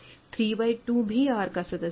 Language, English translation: Hindi, So, 1 by 2 is R prime